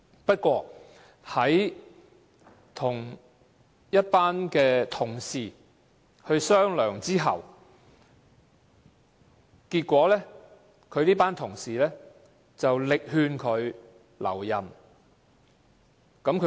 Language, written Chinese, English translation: Cantonese, 不過，他跟一群同事商量，結果這群同事力勸他留任。, He thus decided to resign . Nonetheless he discussed this with his colleagues and these colleagues persuaded him to stay